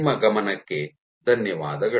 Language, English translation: Kannada, Thank you for your attention